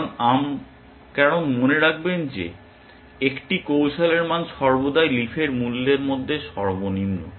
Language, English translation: Bengali, Because remember that, the value of a strategy is always the minimum of the value of the leaves essentially